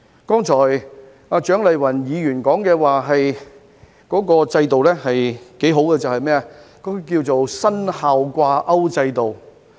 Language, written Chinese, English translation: Cantonese, 剛才蔣麗芸議員說的制度是不錯的，稱為"薪效掛鈎制度"。, The system that Dr CHIANG Lai - wan described earlier is a good one called a performance - related pay system